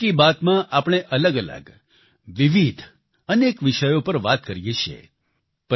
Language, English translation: Gujarati, in Mann Ki Baat, we refer to a wide range of issues and topics